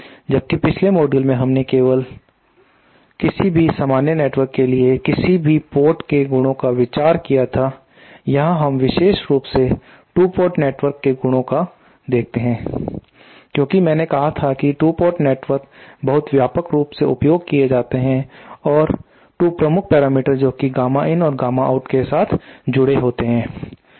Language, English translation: Hindi, Whereas in the previous module we had only considered the properties of any port of any general network here we are specifically seen the properties of 2 port networks since as I said 2 port networks are very widely used and 2 of the major parameters that are associated with incidence matching are the gamma in and the gamma out